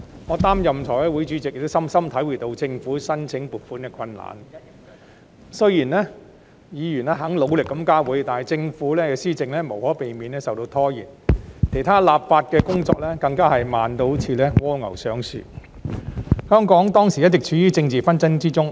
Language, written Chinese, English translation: Cantonese, 我擔任財務委員會主席，深深體會到政府申請撥款的困難，雖然議員肯努力加會，但政府施政無可避免受到拖延，其他立法工作更加慢得像蝸牛上樹般，當時香港一直處於政治紛爭之中。, As the Chairman of the Finance Committee I deeply understand how difficult it is for the Government to apply for funding . Despite Members willingness to hold additional meetings delays in the Governments work are inevitable and other legislative work is even slower than a snails pace . At that time Hong Kong was in the midst of political strife